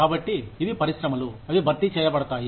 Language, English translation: Telugu, So, these are the industries, that get replaced